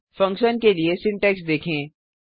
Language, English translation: Hindi, Let us see the syntax for function